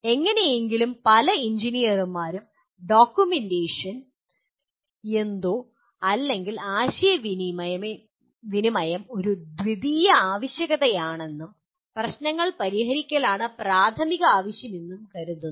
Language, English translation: Malayalam, Somehow many engineers consider documentation is something or communicating is a secondary requirements and the primary requirement is to solve the problems